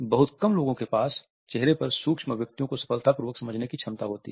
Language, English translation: Hindi, Very few people have the capability to successfully comprehend micro expressions on a face